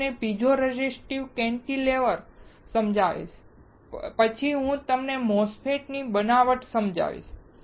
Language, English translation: Gujarati, I will explain to you piezo resistive cantilever and then I will explain you MOSFETs fabrication